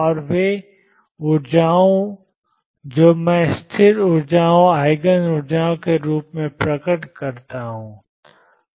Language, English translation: Hindi, And the energies that I stationary energies appear as Eigen energy